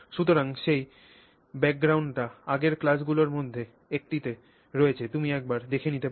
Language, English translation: Bengali, So, that background is there in one of the earlier classes you can take a look at it